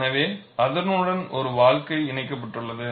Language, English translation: Tamil, So, there is a life attached to it